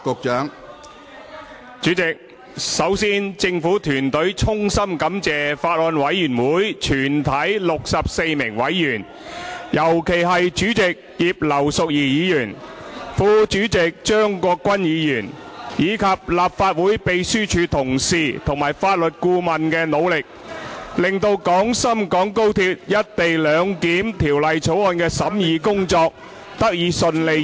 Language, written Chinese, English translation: Cantonese, 主席，首先政府團隊衷心感謝法案委員會全體64名委員，尤其是主席葉劉淑儀議員、副主席張國鈞議員，以及立法會秘書處同事及法律顧問作出的努力，令《廣深港高鐵條例草案》的審議工作，得以順利完成......, First of all President the government team extends its heartfelt gratitude to all the 64 members of the Bills Committee particularly Chairman Mrs Regina IP Deputy Chairman CHEUNG Kwok - kwan as well as the colleagues and legal advisers of the Legislative Council Secretariat for their effort in enabling the smooth completion of the scrutiny of the Guangzhou - Shenzhen - Hong Kong Express Rail Link Co - location Bill